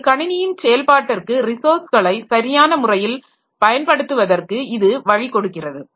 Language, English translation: Tamil, It provides the means for proper use of the resources in the operation of the computer system